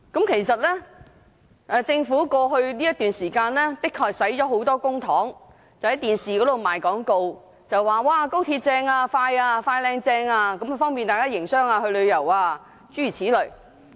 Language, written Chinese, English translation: Cantonese, 其實，政府近日的確花了很多公帑在電視上賣廣告，說高鐵"快靚正"，方便大家營商和旅遊，諸如此類。, Indeed the Government has recently spent a lot of public funds on television advertisements to promote the speedy quality and efficient XRL which facilitates business and travelling and so on